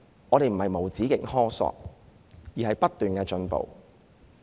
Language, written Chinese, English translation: Cantonese, 這並非無止境的苛索，而是追求不斷的進步。, The proposals are not endless extortions but are efforts made to seek continuous improvements